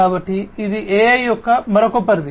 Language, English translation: Telugu, So, that is another scope of AI